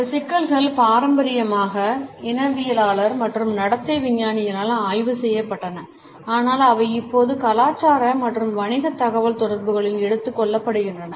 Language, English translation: Tamil, These issues were traditionally studied by ethnologist and behavioral scientist, but they are now being taken up in intercultural and business communications also